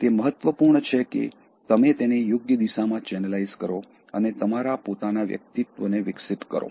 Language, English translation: Gujarati, It is important, that you channelize it in the right direction and develop and enhance your own personality